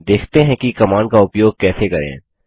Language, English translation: Hindi, Let us see how the command is used